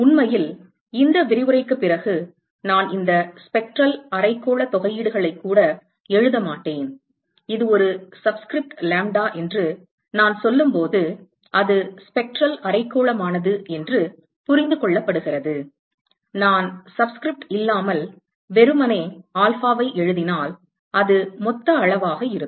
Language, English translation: Tamil, And in fact, maybe after this lecture I will probably not even write these spectral hemispherical integrals, when I say it is a subscript lambda it is understood that it is spectral hemispherical, if I write simply alpha without a subscript it will be total quantity